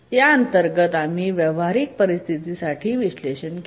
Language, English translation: Marathi, So under that we can do an analysis for a practical situation